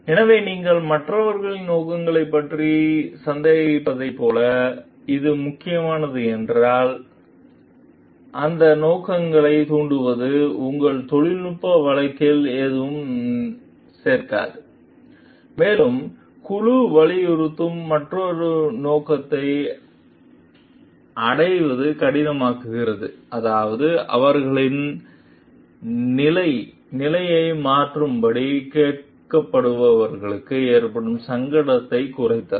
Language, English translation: Tamil, So, if it is this is important like if you even if you were suspicious of others motives, because impugning those motives adds nothing to your technical case and makes it harder to achieve another objective that the committee emphasizes, namely minimizing the embarrassment to those who are being asked to change their position